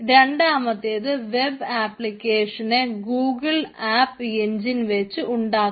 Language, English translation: Malayalam, the second one is building web application using google app engine